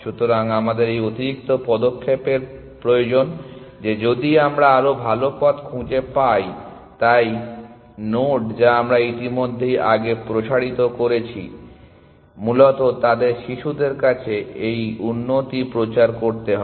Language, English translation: Bengali, So, we need this extra step that if we have found better path, so node that we have already expanded earlier we need to propagate this improvement to their children essentially